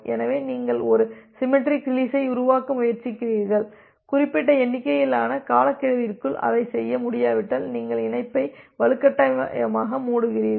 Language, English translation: Tamil, So, you will try to make a symmetric release, if you are not able to do that within certain number of timeout then you forcefully close the connection